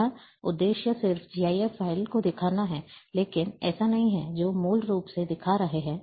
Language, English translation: Hindi, The purpose here is just to show the, GIF file, but not the, what basically it is showing